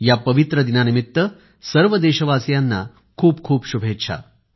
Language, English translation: Marathi, Heartiest greetings to all fellow citizens on this auspicious occasion